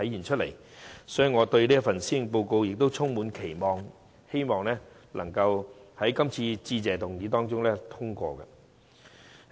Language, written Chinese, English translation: Cantonese, 因此，我對這份施政報告充滿期望，亦希望致謝議案可獲通過。, Hence I hold high expectations of the Policy Address and I hope that the Motion of Thanks will be passed